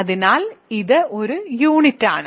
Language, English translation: Malayalam, So, it is a unit